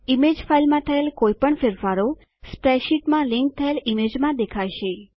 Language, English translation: Gujarati, Any changes made to the image file, Will be reflected in the linked image In the spreadsheet